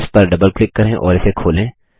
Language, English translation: Hindi, Double click on it and open it